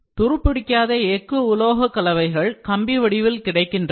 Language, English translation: Tamil, Steel alloys are materials available in wire form